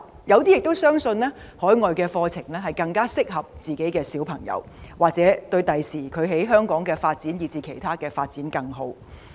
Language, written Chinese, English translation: Cantonese, 有些家長相信海外的教育更適合子女，或對他們日後在香港發展以至其他方面的發展更好。, Some parents believe that overseas education is more suitable for their children or it will benefit their children more in their career development or other pursuits in Hong Kong